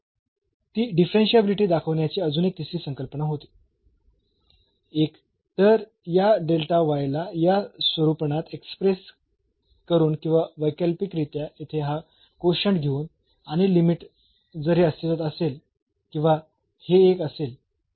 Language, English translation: Marathi, So, that was another the third concept of showing the differentiability either by expressing this delta y in this format or alternatively taking this quotient here and limit if this exists or this one